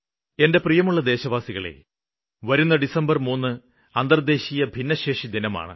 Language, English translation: Malayalam, Dear countrymen, the entire world will remember 3rd December as "International Day of Persons with Disabilities"